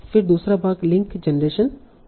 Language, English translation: Hindi, Then second part would be link generation